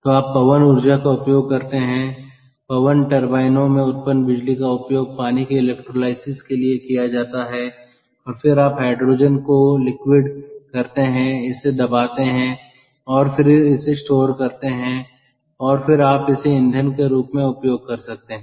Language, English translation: Hindi, all right, so you have to get hydrogen from wind power via electrolysis, so you use wind power, the electricity generated in wind turbines that is used for electrolysis of water, and then you liquefy the hydrogen, pressurizing it and then store it and that you then you can use it as a fuel